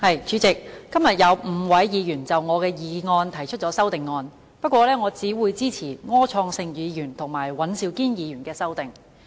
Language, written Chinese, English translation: Cantonese, 主席，今天有5位議員就我的議案提出修正案，不過我只會支持柯創盛議員及尹兆堅議員的修正案。, President five Members have proposed amendments to my motion but I will only support the amendments by Mr Wilson OR and Mr Andrew WAN